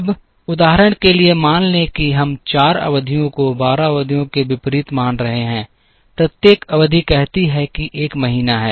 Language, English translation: Hindi, Now, for the sake of illustration, let us assume that we are considering 4 periods as against 12 periods, each period say is a month